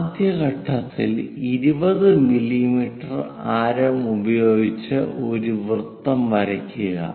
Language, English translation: Malayalam, The first step is 20 mm radius drawing a circle